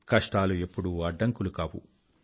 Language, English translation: Telugu, Hardships can never turn into obstacles